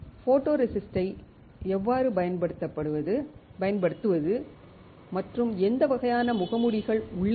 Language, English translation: Tamil, How to use a photoresist and what kind of masks are there